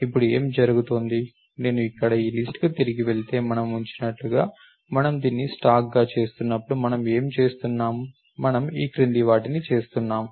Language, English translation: Telugu, So, what is happening now, as we keep if I go back to this list over here, so what are we doing when we are making this as a stack, we are simply doing the following